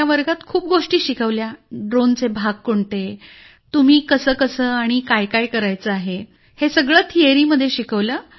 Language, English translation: Marathi, In the class, what are the parts of a drone, how and what you have to do all these things were taught in theory